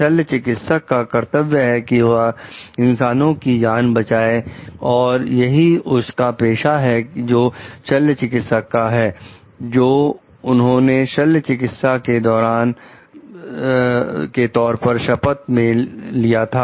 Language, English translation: Hindi, The duty of the surgeon is to save life of mankind that is the profession which the surgeon has like that is the oath that the surgeon has taken